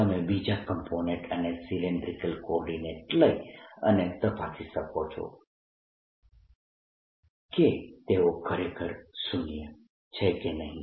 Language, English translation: Gujarati, you can take the other components and cylindrical coordinates and check for yourself that they are indeed zero